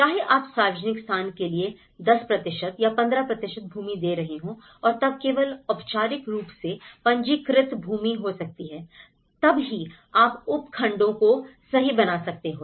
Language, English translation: Hindi, Whether you are giving a 10% or 15% of land for the public place and then only it could be formally registered land, then only, you can make the subdivisions right